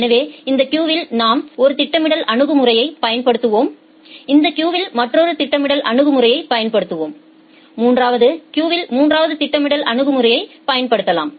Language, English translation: Tamil, So, in this queue we will apply one scheduling strategy, in this queue we will apply another scheduling strategy and in the third queue we may apply a third scheduling strategy